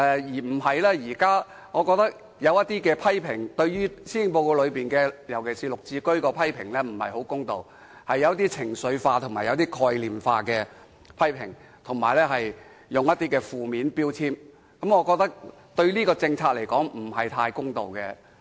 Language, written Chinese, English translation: Cantonese, 現在有些對施政報告的批評，尤其是對綠置居的批評不太公道，屬於情緒化及概念化的批評，並對這項政策加上負面標籤，我認為是不太公道的。, Some of the existing comments on the Policy Address and especially on GSH are rather unfair . Those are emotional and broad - brush comments which put a negative tag on this policy measure . I think they are not exactly fair